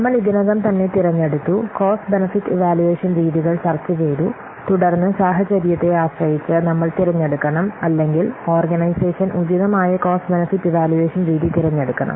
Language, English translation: Malayalam, So after so we have already seen that we have already selected, we have discussed the cost benefit evaluation techniques then depending upon the scenario we should select or the organization should select a proper unappropriate cost benefit evaluation